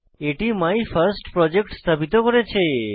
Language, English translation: Bengali, It has deployed MyFirstProject